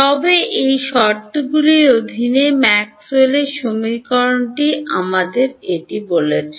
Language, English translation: Bengali, But under these conditions this is what Maxwell’s equation is telling us